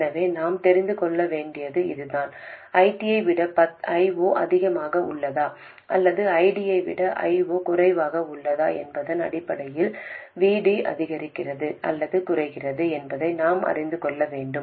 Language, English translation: Tamil, We need to know that VD increases or decreases based on whether I 0 is more than ID or I D is less than ID